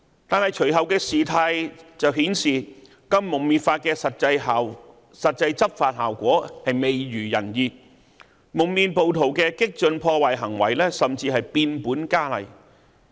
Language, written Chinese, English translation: Cantonese, 但是，隨後的事態卻顯示，《禁蒙面法》的實際執法效果未如人意，蒙面暴徒的激進破壞行為甚至變本加厲。, However the subsequent development has shown that the effectiveness of the anti - mask law has been far from satisfactory with an escalation of radical vandalism of masked rioters